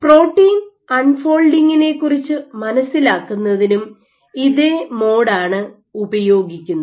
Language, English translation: Malayalam, So, this is the same mode you also use for probing protein unfolding